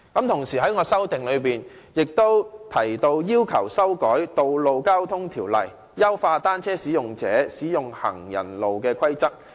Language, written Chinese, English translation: Cantonese, 同時，我的修正案亦提到要求修改《道路交通條例》，以優化單車使用者使用行人路的規則。, Meanwhile I have also proposed in my amendment that the Road Traffic Ordinance be amended to enhance the regulations governing the use of pavements by cyclists